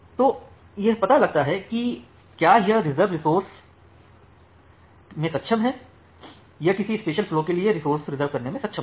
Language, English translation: Hindi, So, it finds out whether it is able to resource the reserve or it will be able to reserve the resource for a particular flow